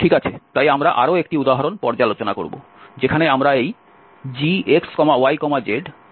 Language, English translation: Bengali, Okay, so we will go through one more example where we will integrate here x y z